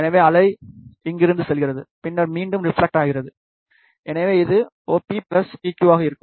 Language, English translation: Tamil, So, wave goes from here, and then reflects back, so this will be OP plus PQ